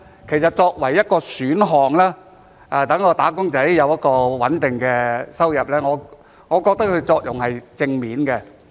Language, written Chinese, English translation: Cantonese, 其實作為一個選項，讓"打工仔"有穩定的收入，我覺得這是正面的。, To be honest I think it is favourable as an option that enables wage earners to have a stable income